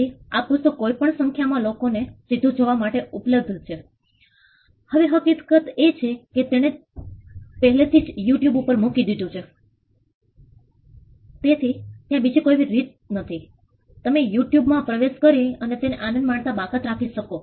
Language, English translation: Gujarati, So, the book is available for live viewing for any number of people, now the fact that he has already put it on you tube there is no way you can exclude a person who has got access to you tube from enjoying it